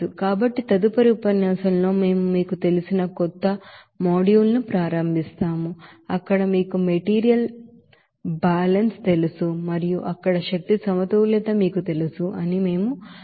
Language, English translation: Telugu, So in the next lecture, we will start the you know new module where we will discuss more about that you know material balance and you know energy balance there